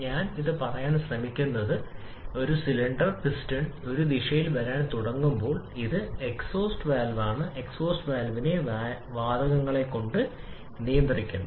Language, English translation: Malayalam, What I am trying to say that, if this is a cylinder and this is exhaust valve now when the piston starts to come up in this direction it is actually forcing the gases against exhaust valve